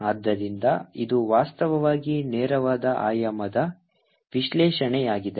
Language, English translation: Kannada, so this is actually straightforward dimensional analysis